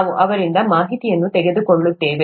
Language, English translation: Kannada, We’d be taking information from them